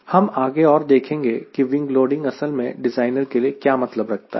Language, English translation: Hindi, we further see what this wing loading actually wings an in designer